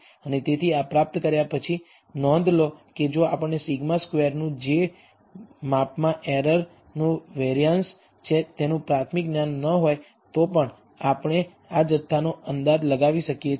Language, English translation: Gujarati, And so, having derived this, notice that even if we do not have a priori knowledge of sigma square which is the variance of error in the measurements we can estimate this quantity